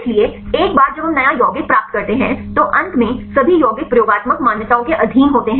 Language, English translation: Hindi, So, once we get the new compound then finally, all the compounds are subjected to experimental validations